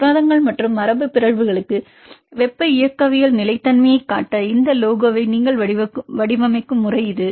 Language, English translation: Tamil, This is the way you design this logo to show the thermodynamic stability for proteins and mutants